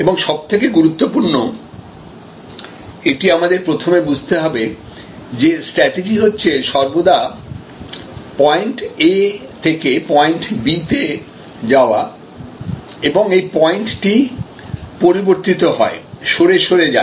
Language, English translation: Bengali, And most importantly this is the first understanding that we must have that in strategy it is always about going from point A to point B and this point changes, keeps on shifting